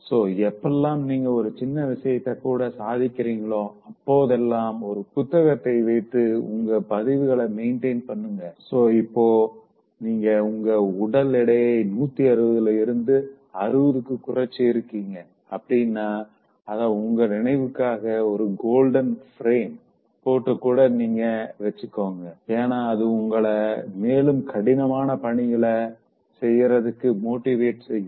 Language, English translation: Tamil, So, whenever you achieve small things, keep a log book, maintain a record, so in case of reducing weight if you reduce from 160 to 60, keep a picture of you, even you frame it in a golden frame and then keep something for your memory and that will keep you motivating to take difficult task